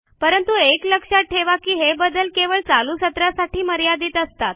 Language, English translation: Marathi, But, remember one thing that these modifications are only applicable for the current session